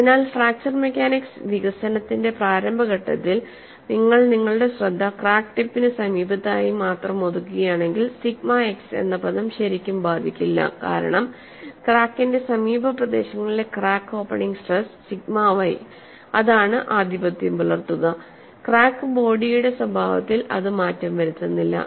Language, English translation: Malayalam, So, in initial stages of fracture mechanics development, if you are convey confining your attention only to the close vicinity of the crack tip, use of the term sigma x really does not affect, because the crack opening stress sigma y the neighbourhood of the crack tip the dominates a behaviour of a crack body is not effected